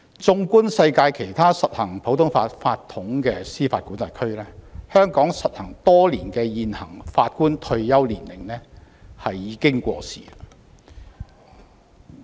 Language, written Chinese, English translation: Cantonese, 縱觀世界其他實行普通法法統的司法管轄區，香港實行多年的現行法官退休年齡已過時。, Looking at the other jurisdictions that practise the common law system in the world we will see that the existing retirement ages for Judges which have been implemented in Hong Kong for many years are outdated